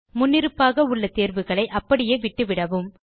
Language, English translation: Tamil, All the options are selected by default